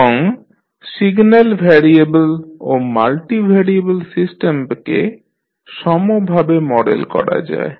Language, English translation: Bengali, And single variable and multivariable systems can be modelled in a unified manner